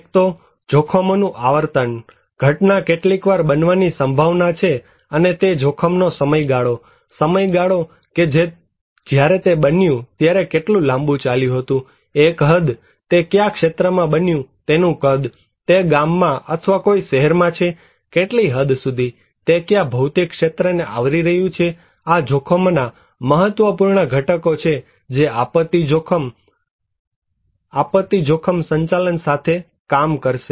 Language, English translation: Gujarati, One is the frequency of the hazards; how often is the event likely to happen, and then is the duration of the hazard; the length of time that when it happened how long it continued, an extent; the size of the area where it took place, it is in a village or in a town, what extent, what geographical area it is covering so, these are important components of hazards will dealing with disaster risk management